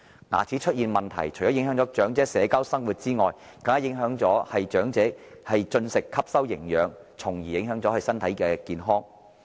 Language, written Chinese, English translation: Cantonese, 牙齒出現問題，除影響長者社交生活外，更會影響長者進食、吸收營養，繼而影響身體健康。, Dental problems will not only affect the social life of the elderly but also their food intake absorption of nutrition and subsequently physical health